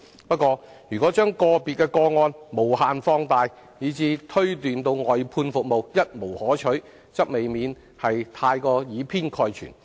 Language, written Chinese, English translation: Cantonese, 不過，如將個別個案無限放大，以致推斷外判服務一無可取，則未免過於以偏概全。, However if we keep exaggerating individual cases and then draw the conclusion that service outsourcing is good for nothing we may be making a one - sided generalization